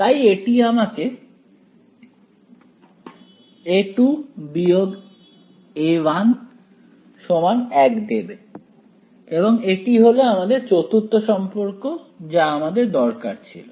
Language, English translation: Bengali, So, this will give me A 2 minus A 1 is equal to 1 right, so that is my fourth relation that I needed right